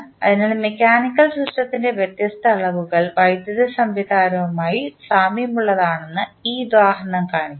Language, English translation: Malayalam, So, this example shows that how the different quantities of mechanical system are analogous to the electrical system